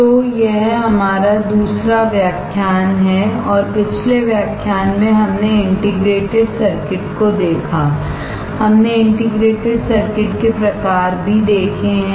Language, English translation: Hindi, So, this is our second lecture and in the previous lecture we looked at the integrated circuit and we have also seen the types of integrated circuit